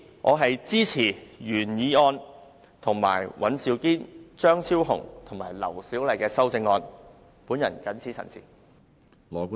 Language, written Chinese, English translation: Cantonese, 我支持原議案及尹兆堅議員、張超雄議員和劉小麗議員提出的修正案。, I support the original motion and the amendments proposed by Mr Andrew WAN Dr Fernando CHEUNG Dr LAU Siu - lai